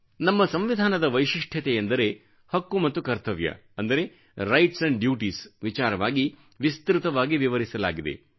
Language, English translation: Kannada, The unique point in our Constitution is that the rights and duties have been very comprehensively detailed